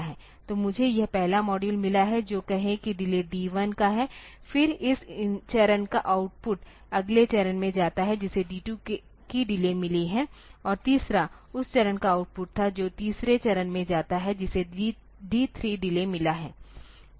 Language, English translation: Hindi, So, so this is the say I have got this first module which is say of delay D 1 then the output of this stage goes to the next stage that has got a delay of D 2 and the third was a third output of that stage goes to the third stage that has got a delay of D 3